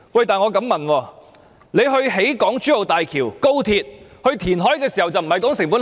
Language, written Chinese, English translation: Cantonese, 但是，為何政府興建港珠澳大橋、高鐵、填海時，卻不談成本效益？, But why did the Government not consider the cost - effectiveness when it took forward the Hong Kong - Zhuhai - Macao Bridge the high speed rail and the reclamation project?